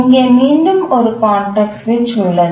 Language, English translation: Tamil, So, there is again a context switch